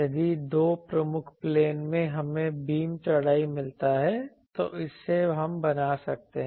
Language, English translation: Hindi, If in 2 principal planes, we get beam width from that we can make